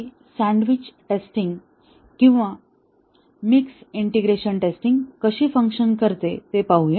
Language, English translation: Marathi, Let us look at how is this sandwiched testing or mixed integration testing would work